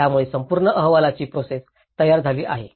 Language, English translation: Marathi, So, that has framed the whole report process